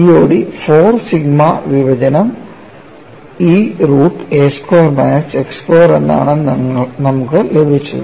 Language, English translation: Malayalam, Getting a COD as 4 sigma divided by E root of a square minus x square we have achieved